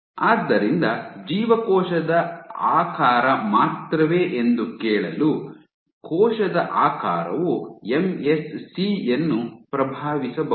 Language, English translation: Kannada, So, to ask if cell shape alone, the question is can Cell Shape influence MSC fate it is a question